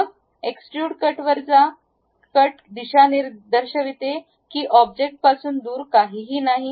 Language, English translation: Marathi, Then go to extrude cut; the cut direction shows that away from the object nothing to remove